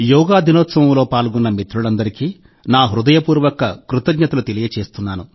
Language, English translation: Telugu, I express my heartfelt gratitude to all the friends who participated on Yoga Day